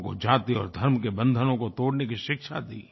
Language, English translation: Hindi, His teachings to people focused on breaking the cordons of caste and religion